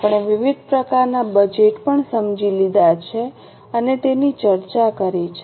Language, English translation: Gujarati, We have also understood and discussed various types of budgets